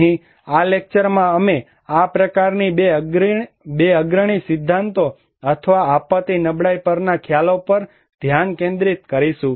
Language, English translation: Gujarati, Here, in this lecture, we will focus on these two such prominent early theories or concepts on disaster vulnerability